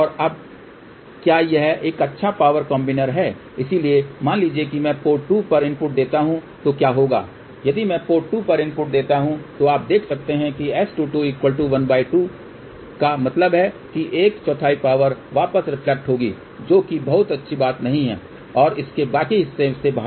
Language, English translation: Hindi, So, what will happen if I give a input at port 2 you can see that S 2 2 is half, so that means 1 fourth of the power will reflect backthat is not a very good thing and out of that rest of it